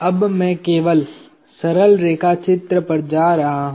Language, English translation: Hindi, Now, I am going to just shift to simple line diagram